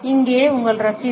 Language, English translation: Tamil, Here your receipt